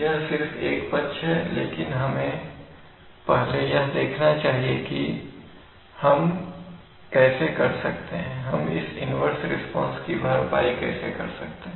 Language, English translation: Hindi, This is just a, just a side, but let us see first how we can we can we can compensate for this inverse response